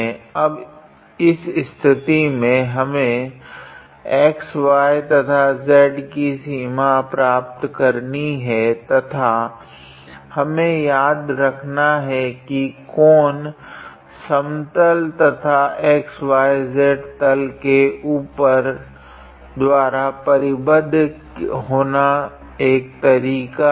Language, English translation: Hindi, Now in this case we have to get the limits for x y and z and we have to remember that the volume enclosed by this cone and the plane has to be above xy plane in a way